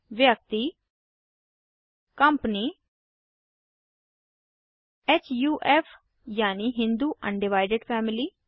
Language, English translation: Hindi, Person Company HUF i.e Hindu Un divided Family